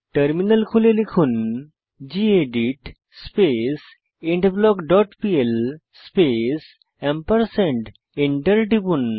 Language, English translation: Bengali, Open the Terminal and type gedit beginBlock dot pl space ampersand and press Enter